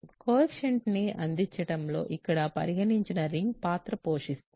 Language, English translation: Telugu, So, the underlying ring plays a role in providing coefficients